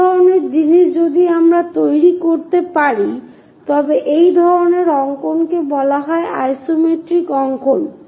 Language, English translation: Bengali, Such kind of things if we can construct it that kind of drawings are called isometric drawings